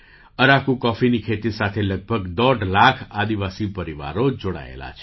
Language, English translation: Gujarati, 5 lakh tribal families are associated with the cultivation of Araku coffee